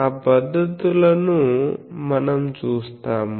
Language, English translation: Telugu, So, those techniques we will see